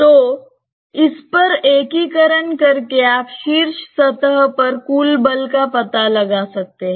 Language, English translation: Hindi, So, integrating over that you can find out the total force on the top surface